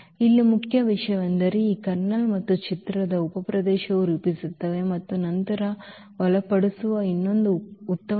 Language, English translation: Kannada, So, here the point is that these kernel and the image they form subspace and there is another nice theorem which will be used later